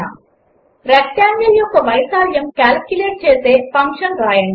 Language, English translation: Telugu, Write a function which calculates the area of a rectangle